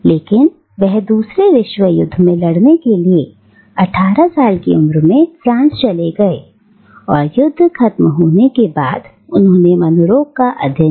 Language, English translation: Hindi, But he moved to France at the age of 18 to fight in the second world war and after the war was over, he studied psychiatry